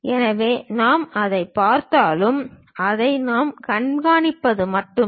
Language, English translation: Tamil, So, whatever we see that is the only thing what we show it